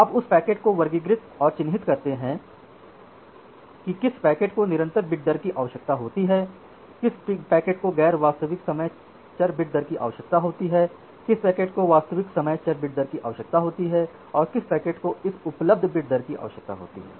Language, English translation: Hindi, You classify and mark the packet that which packet require say constant bit rate, which packet require non real time variable bit rate, which packet required real time variable bit rate and which packet requires this available bit rate